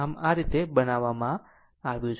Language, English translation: Gujarati, So, this way it has been done